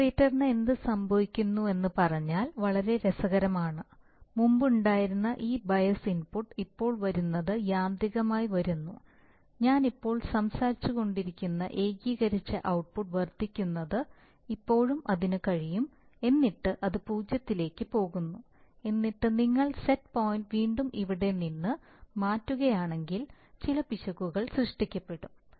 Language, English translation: Malayalam, Now, so exactly this is what happens, so now you see, if you, if you put the integrator what happens, is very interesting, so what happens is that, this bias input which was previously coming now comes automatically, that is the integral output which I was talking about now increases, increases, increases, still it can, then it goes to zero and then if you, if you change the set point again from here to here again some error will be created